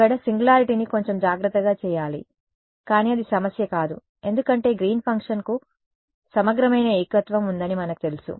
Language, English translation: Telugu, There I have to do the singularity little bit carefully, but it is not a problem because is Green’s function we know has an integrable singularity